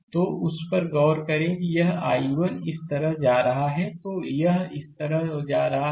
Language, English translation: Hindi, So, if you if you look into that that this I 1 is going like this, it is going like this right